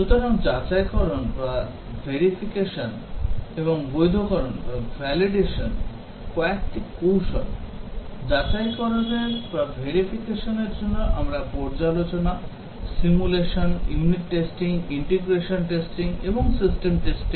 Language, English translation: Bengali, So, these are some of the techniques for verification and validation, verification we use review, simulation, unit testing, integration testing and system testing